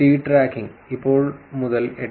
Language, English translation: Malayalam, Seed tracking, now from now on 8